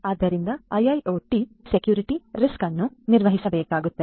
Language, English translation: Kannada, So, IIoT security risks will have to be managed